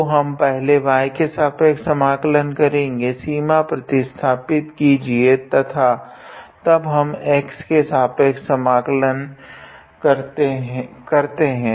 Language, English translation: Hindi, So, we integrate with respect to y first, substitute the limit and then we integrate with respect to x